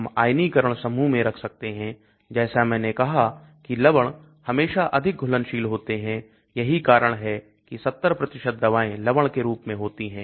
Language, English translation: Hindi, We can put in ionizable groups as I said salts are always highly soluble that is why 70% of the drugs are in salt form